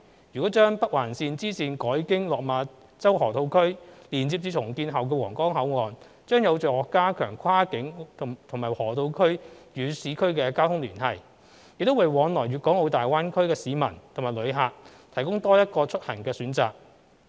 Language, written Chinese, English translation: Cantonese, 如將北環綫支綫改經落馬洲河套區連接至重建後的皇崗口岸，將有助加強跨境和河套區與市區的交通聯繫，亦為往來粵港澳大灣區的市民及旅客提供多一個出行的選擇。, If the bifurcation of NOL is linked up with the Huanggang Port via the Lok Ma Chau Loop then it will strengthen the connectivity among downtown areas cross - boundary control points and the Lok Ma Chau Loop . Besides it will also provide another transport option for the public and visitors travelling to and from the Guangdong - Hong Kong - Macao Greater Bay Area GBA